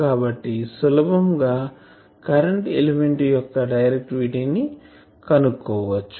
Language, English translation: Telugu, So, we can easily find the directivity of the current element